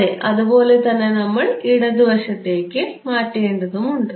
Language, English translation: Malayalam, Yeah you similarly you have to change it for the left